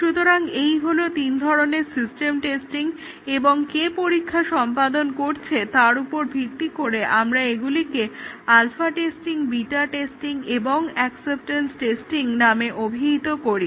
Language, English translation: Bengali, So, these are all these three are system testing and depending on who carries out the testing, we call it as alpha testing, beta testing or acceptance testing